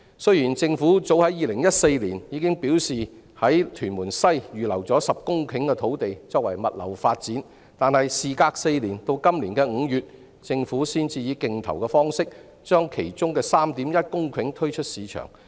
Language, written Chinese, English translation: Cantonese, 雖然政府早於2014年表示已在屯門西預留了10公頃土地作物流發展，但事隔4年，直至今年5月，政府才以競投方式把當中 3.1 公頃土地推出市場。, Though the Government announced as early as in 2014 that 10 hectares of land in Tuen Mun West had been earmarked for logistics development it was not until May this year four years after that that the Government finally put 3.1 hectares of land in the market for sale through competitive bidding